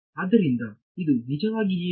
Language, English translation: Kannada, So, what is this actually amount to